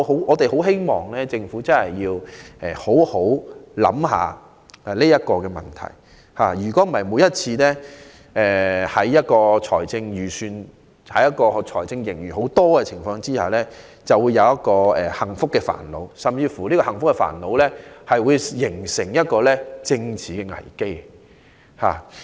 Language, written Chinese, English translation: Cantonese, 我們很希望政府能好好思考這個問題，否則每次出現豐厚財政盈餘時，便會面對幸福的煩惱，這煩惱甚至會形成一個政治危機。, We very much hope that the Government will give careful consideration to this issue otherwise it will be faced with the same happy problem again whenever a huge financial surplus is recorded and this problem will even result in a political crisis